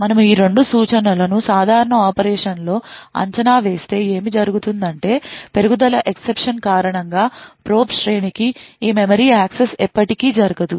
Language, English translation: Telugu, If we evaluate these two instructions in a normal operation what would happen is that due to the raise exception this memory access to the probe array would never occur